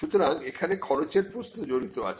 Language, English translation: Bengali, So, there is a cost factor involved